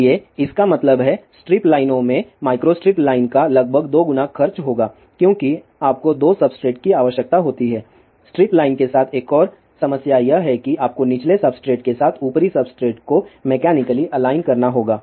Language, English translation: Hindi, So; that means, strip lines will cost approximately double of the micro strip line because you need 2 substrate another problem with the strip line is that you have to mechanically align the to substrate with the bottom substrate